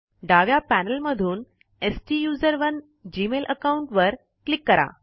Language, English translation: Marathi, From the left panel, click on the STUSERONE gmail account